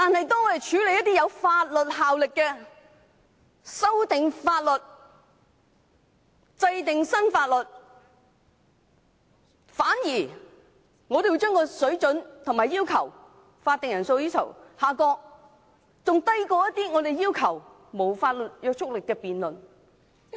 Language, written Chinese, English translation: Cantonese, 但當我們處理有法律效力的事項，包括修訂法例、制定新法例時，反而將法定人數的要求下降，至低於沒有法律約束力的議案辯論。, But when we handle issues with legislative effect including legislative amendments and enactment of new legislation the required quorum is instead reduced to a level which is even lower than the quorum for debates on motions with no legislative effect